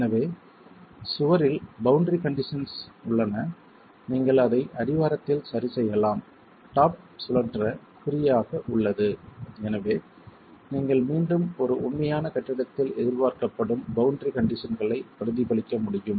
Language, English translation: Tamil, So the wall has boundary conditions, you can fix it at the base, the top is free to rotate and so you again are able to mimic the boundary conditions expected in a real building